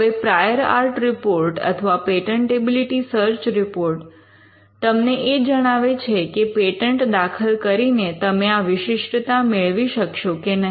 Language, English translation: Gujarati, Now a prior art report or a patentability search report will tell you whether you can achieve exclusivity by filing a patent